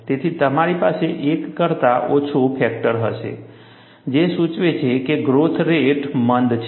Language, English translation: Gujarati, So, you will have a factor less than 1, which indicates that, the growth rate is retarded